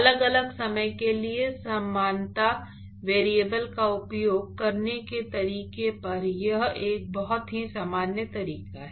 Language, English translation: Hindi, It is a very, very general method on how to use similarity variable for different time